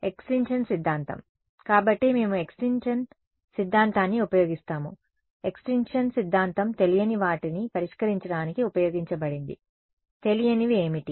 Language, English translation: Telugu, Extinction theorem right; so, we use the extinction theorem; extinction theorem was used to solve for the unknowns right, what were the unknowns